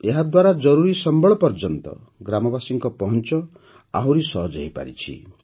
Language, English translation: Odia, This has further improved the village people's access to essential resources